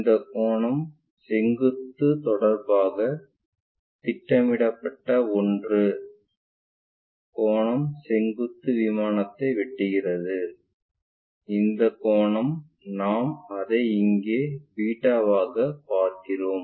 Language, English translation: Tamil, And, this angle the projected one with respect to vertical whatever the angle is going to intersect this vertical plane, whatever that angle we are going to see that we will see it here as beta